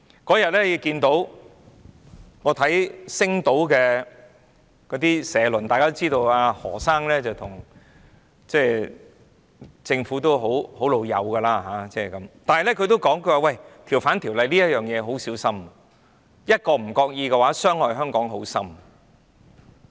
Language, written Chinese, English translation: Cantonese, 我有天看到《星島日報》的社論，大家知道何先生與政府關係友好，但是他也指出，政府要很小心處理《逃犯條例》，稍有不為意便會深深傷害香港。, I read an editorial of Sing Tao Daily the other day . We know that the Mr HO has always been friendly with the Government but he also points out that the Government needs to be very careful in dealing with the amendment to the Ordinance as a small mistake will bring far - reaching adverse consequences to Hong Kong